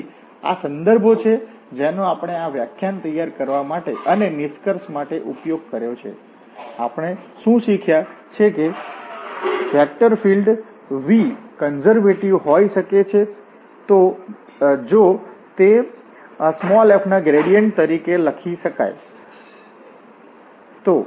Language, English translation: Gujarati, So, these are the references we have used for preparing this lecture and to conclude, so, what we have learned that a vector field V set to be conservative if it can be written as the gradient of f